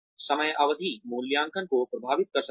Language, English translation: Hindi, The timing may impact the appraisals